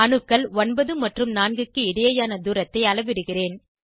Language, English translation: Tamil, I will measure the distance between atoms 9 and 4